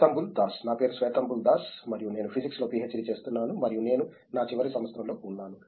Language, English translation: Telugu, My name is Swethambul Das and I am doing PhD in Physics and I am in my final year of work